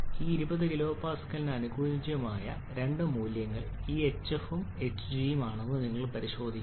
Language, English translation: Malayalam, You have to check that 2 values corresponding this 20 kilopascals which are this hf and hg